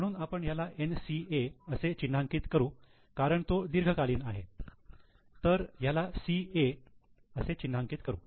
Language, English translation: Marathi, So, let us mark this as NCA because it's long term whereas this will be marked as CA